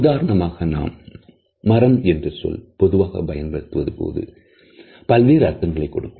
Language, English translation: Tamil, For example, we may say wood and it may have some different meanings